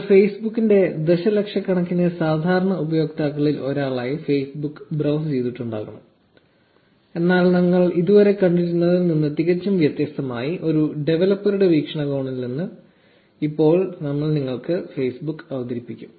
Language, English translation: Malayalam, You must have browsed Facebook as one of the millions of common Facebook users hundreds of times, but now we will introduce Facebook to you from a developer's perspective which is entirely different from what you must have seen until now